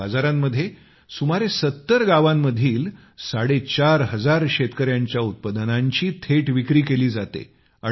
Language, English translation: Marathi, In these markets, the produce of about four and a half thousand farmers, of nearly 70 villages, is sold directly without any middleman